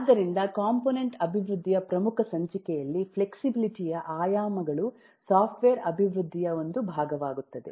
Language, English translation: Kannada, so the dimensions of flexibility at the major issue of component development become a part of the software development